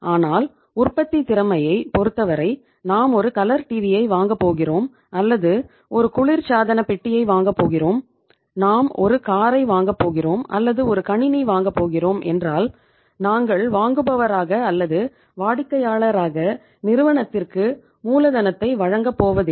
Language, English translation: Tamil, But in case of the manufacturing sector when we are going to buy a color TV or we are going to buy a refrigerator, we are going to buy a car or we are going to buy a computer, we are not going to provide as the buyer or as the customer